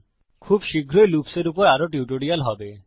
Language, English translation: Bengali, There will be more tutorials on loops shortly So keep watching